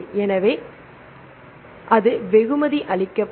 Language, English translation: Tamil, So, that will be rewarded